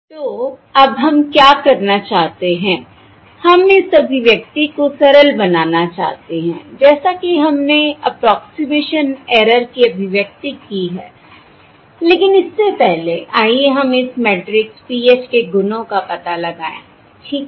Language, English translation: Hindi, okay, So now what we want to do is we want to simplify this expression that weíve derived for the ëapproximation errorí, but before that, let us explore the properties of this matrix PH